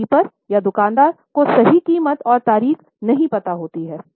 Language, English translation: Hindi, So, the stockkeeper or the shopkeeper does not know exact price and the date